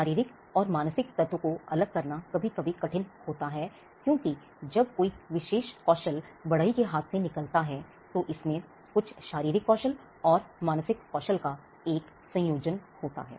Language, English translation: Hindi, It is sometimes hard to segregate the physical and mental element, because when there is a particular move or a skill that comes out of the carpenter’s hand; there is a combination of certain physical skills and mental skills